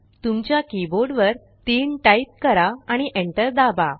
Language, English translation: Marathi, Type 3 on your keyboard and hit the enter key